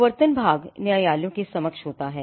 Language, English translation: Hindi, The enforcement part happens before the courts